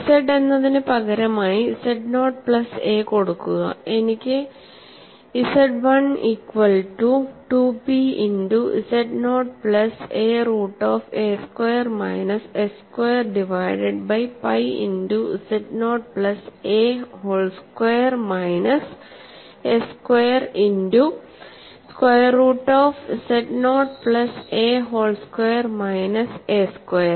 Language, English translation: Malayalam, So, when I substitute for z equal to z naught plus a, I get Z1 as 2P multiplied by z naught plus a root of a squared minus s squared divided by pi multiplied by z naught plus a whole squared minus s squared multiplied by square root of z naught plus a whole squared minus a squared